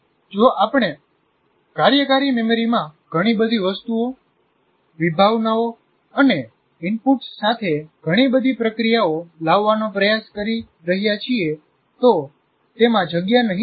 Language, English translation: Gujarati, If we are tried to bring too many things, too many concepts, too many inputs, and too many procedures to the working memory, it won't have space